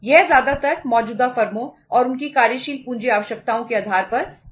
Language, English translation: Hindi, This can be done mostly on the basis of the existing firms and their working capital requirements